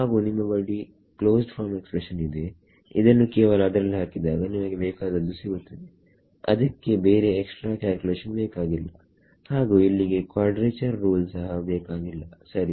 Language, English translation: Kannada, And if you have a closed form expression you just substitute it then and you get the thing, there is no added calculation needed over here there is no quadrature rule also needed over here right